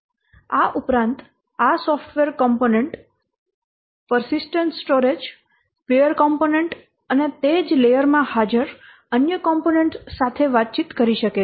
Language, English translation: Gujarati, Besides that this software component may communicate with the persistent storage, pure component and other components present in the same layer